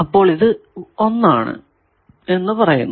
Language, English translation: Malayalam, So, we are calling it equation number 1